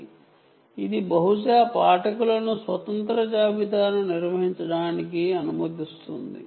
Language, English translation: Telugu, second is it allows multiple readers to conduct independent inventories